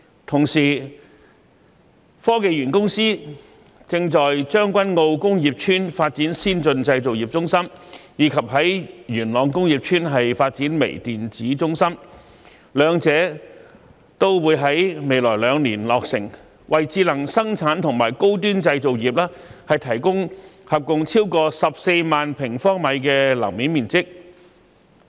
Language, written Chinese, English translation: Cantonese, 同時，香港科技園公司正在將軍澳工業邨發展先進製造業中心，以及在元朗工業邨發展微電子中心，兩者均會在未來兩年落成，為智能生產和高端製造業提供合共超過14萬平方米的樓面面積。, Meanwhile the Hong Kong Science and Technology Parks Corporation is developing an Advanced Manufacturing Centre in the Tseung Kwan O Industrial Estate and a Microelectronics Centre in the Yuen Long Industrial Estate . Both centres will be completed in the coming two years providing a total of more than 140 000 square meters of floor space for smart production and high - end manufacturing